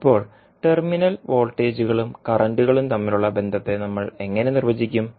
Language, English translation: Malayalam, Now, how we will define the relationships between the terminal voltages and the current